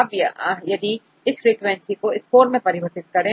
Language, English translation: Hindi, Now we convert these frequencies into score